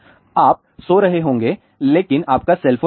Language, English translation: Hindi, You may be sleeping, but your cell phone is not